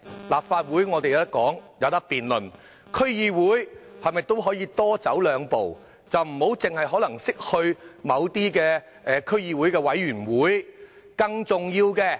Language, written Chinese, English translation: Cantonese, 立法會有機會進行辯論，區議會方面是否也可以多走兩步，而非單單去某些區議會的委員會？, We have the chance to debate the subject in the Legislative Council but should we take a few steps more also in the District Councils instead of only attending certain committee meetings thereof?